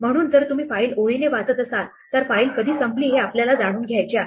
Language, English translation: Marathi, So, if you are reading a file line by line then we may want to know when the file has ended